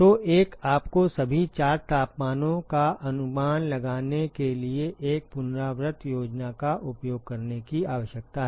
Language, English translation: Hindi, So, one you need to use an iterative scheme in order to estimate all 4 temperatures